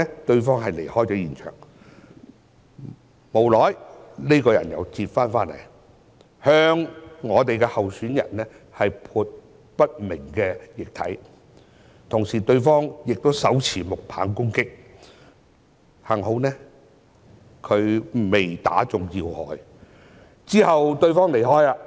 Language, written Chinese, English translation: Cantonese, 對方其後離開現場，不久後再次折返，向候選人潑上不明液體，同時手持木棒攻擊，幸好沒有擊中要害，之後又離開了。, That person left the scene later but returned again shortly afterwards splashing some unknown liquid at the candidate and attacking him with a wooden stick . Fortunately this has caused no serious injuries and the person left again subsequently